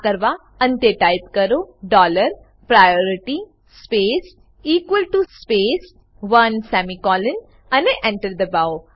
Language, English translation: Gujarati, For this type dollar priority space equal to space one semicolon and press Enter